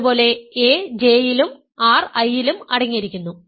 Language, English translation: Malayalam, Similarly, a is contained in J and r is contained in I